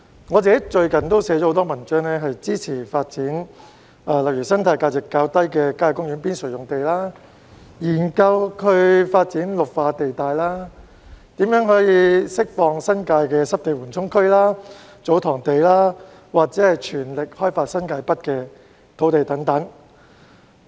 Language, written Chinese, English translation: Cantonese, 我最近撰寫了很多文章，內容包括支持發展生態價值較低的郊野公園邊陲用地、研究發展綠化地帶、怎樣釋放新界的濕地緩衝區和"祖堂地"，以及全力開發新界北的土地等。, In the articles written by me lately I have expressed support for the development of sites with relatively low ecological value on the periphery of country parks; the need to conduct studies on green belts development; how to release the Wetland Buffer Area and TsoTong lands of the New Territories as well as the importance of developing the land of New Territories North with full effort